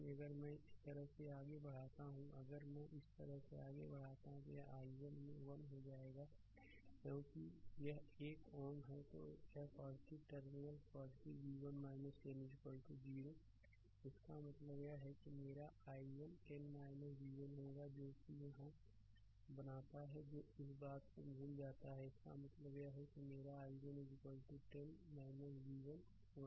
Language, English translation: Hindi, So, if I [moke/move] move by if I move like this, if I move like this right then it will be i 1 into 1 because this is one ohm then this plus terminal plus v 1 minus 10 is equal to 0; that means, my i 1 will be 10 minus v 1 making it here that ah forget about this thing, that mean my i 1 is equal to 10 minus v 1 divided by 1 right